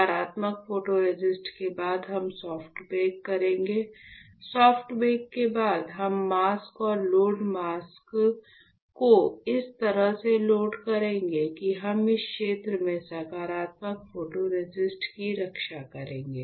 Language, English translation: Hindi, So, what we will do, we will after positive photoresist, we will perform soft bake; after soft bake, we will load the mask and load mask such that, we will protect the positive photoresist in this area